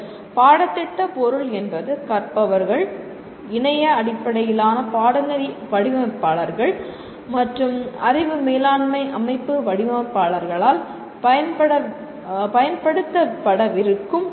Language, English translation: Tamil, Curriculum material developers, that is the material that is going to be used by the learners and web based course designers, knowledge management system designers, these principles of instructional design would be beneficial to all of them